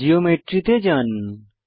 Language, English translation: Bengali, Go to Geometry